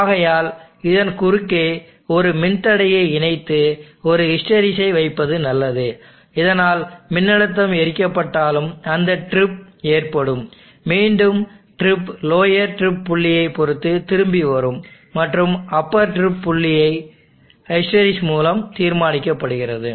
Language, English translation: Tamil, Therefore it is good to connect a resistance across and put a hysteresis so that it will occur even if the voltage shoots up the again the trip will come back depending on the lower drip point and the upper drip point determine by this hysteresis